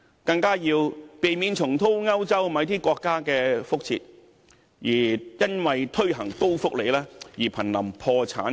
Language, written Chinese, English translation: Cantonese, 更加要避免重蹈某些歐洲國家的覆轍，因為推行高福利而瀕臨破產邊緣。, We must all the more avoid repeating the mistake of some European countries which are on the verge of bankruptcy due to high social welfare